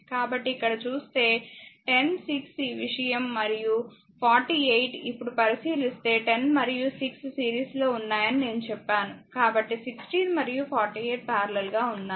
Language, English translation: Telugu, So, if you look so 10, 6 these thing and 48, now if you if you look into I told you that 10 and 6 are in the series; so, 16 and 48 are in parallel right